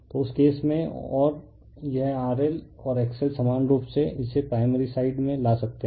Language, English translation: Hindi, So, in that case and this R L and X L in similar way you can bring it to the primary side